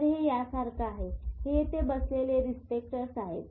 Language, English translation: Marathi, These are receptors sitting here